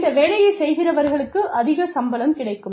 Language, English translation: Tamil, People doing this work, will get a higher pay